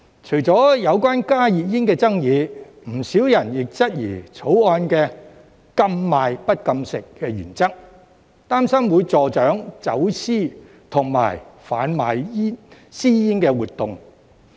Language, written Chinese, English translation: Cantonese, 除了有關加熱煙的爭議，不少人亦質疑《條例草案》"禁賣不禁食"的原則，擔心會助長走私和販賣私煙活動。, Apart from the controversy over HTPs quite a number of people have also queried about the principle of the Bill in that it imposes a ban on the sale but not consumption . They worry that this would encourage smuggling and the sale of illicit cigarettes